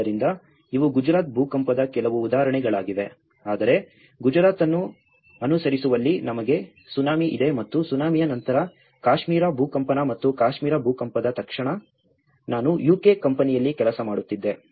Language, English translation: Kannada, So, these are some of the examples from the Gujarat earthquake whereas in following the Gujarat we have Tsunami and immediately after Tsunami the Kashmir earthquake and in the Kashmir earthquake, I was working in a company in UK